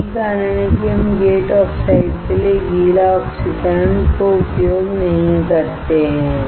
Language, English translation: Hindi, That is why we cannot use the wet oxidation for the gate oxide